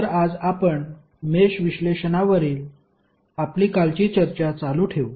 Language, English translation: Marathi, So, today we will continue our yesterday’s discussion on Mesh Analysis